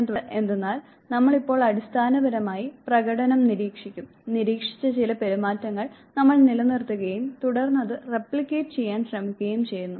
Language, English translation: Malayalam, Therefore, what happens that we would now basically observe the performance, we would retain some of the observed behavior and then we try to replicate it